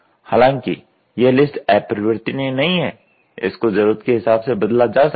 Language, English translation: Hindi, Although this list is not rigid item and can be changed and refined as and when it is necessary